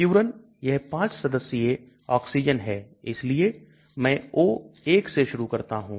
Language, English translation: Hindi, Furan, it is a 5 membered oxygen so I start with O1